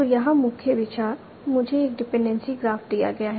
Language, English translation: Hindi, So the main idea here is I am given a dependency graph